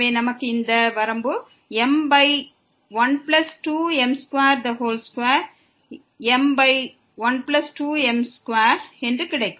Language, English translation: Tamil, So, we will get this limit as m over 1 plus 2 m square